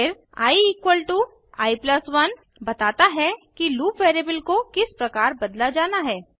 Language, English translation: Hindi, Then i= i+1 , states how the loop variable is going to change